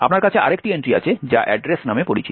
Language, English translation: Bengali, You have another entry which is known as the address